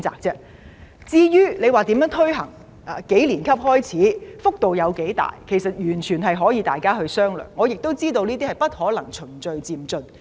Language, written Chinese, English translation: Cantonese, 至於如何推行，由幾年級開始，幅度多大，完全可以由各方面人士商量，我亦知道有關安排必定要循序漸進推行。, Issues including the measures for implementation which year in school should the measure commence and the scope of the measure can be discussed by various parties and I understand that the relevant arrangements must be gradually introduced